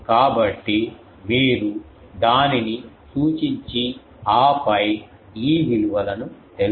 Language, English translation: Telugu, So, you point it and then find out these values